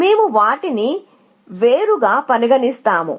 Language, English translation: Telugu, So, we will treat them as separate